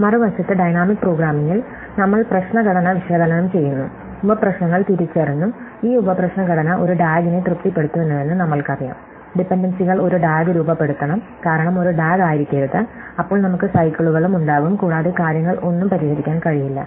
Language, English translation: Malayalam, In dynamic programming on the other hand, we analyze the problem structure, we identify the sub problems and we know that this sub problem structure satisfies a DAG, the dependencies must form a DAG, because if it’s not a DAG, then we will have cycles and things we will not be able to solve anyway